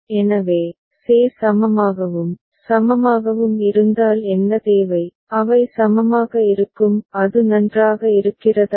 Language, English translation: Tamil, So, what is required if ce is equivalent and ce is equivalent, then they will be equivalent; is it fine